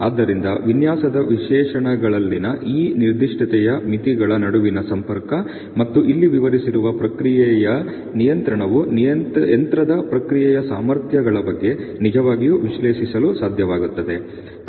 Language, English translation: Kannada, So, these kind of linkage between this specification limits in the design specifications as well as the process control which has been illustrated here would really able you to analyze about the process capabilities of a machine